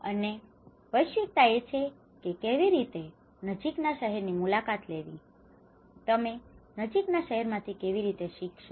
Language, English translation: Gujarati, And cosmopolitaness is how visiting the nearest city, how you learn from the nearest cities